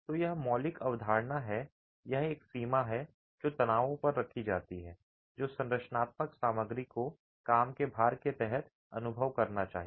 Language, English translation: Hindi, So, this is the fundamental concept that there is a limit put on the stresses that the structural material should experience under the working loads